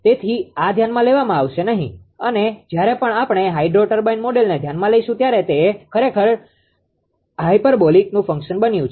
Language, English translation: Gujarati, So, this will not be considered and whenever we considered the hydro turbine model actually it is ah it is for it is become actually in the function of tan hyperbolic